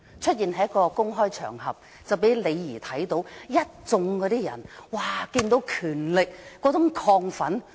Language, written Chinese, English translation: Cantonese, 當時他在一個公開場合出現，李怡看到一眾人士"接近權力的亢奮"。, At that time when XU Jiatun appeared on a public occasion LEE Yee saw how exited people were to get close to people in power